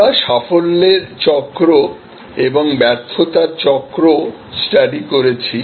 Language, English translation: Bengali, We studied the cycle of success and the cycle of failure